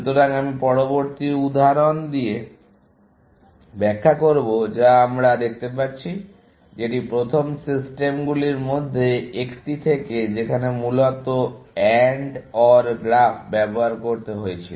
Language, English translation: Bengali, So, I will illustrate that with the next example that we see, which is from one of the first systems that were to use AND OR graphs, essentially